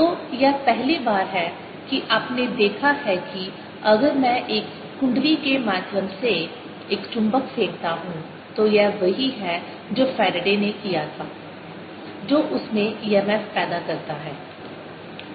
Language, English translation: Hindi, so this is a first that you have seen that if i throw a magnet through a coil this is which is what faraday did that produces an e m f in that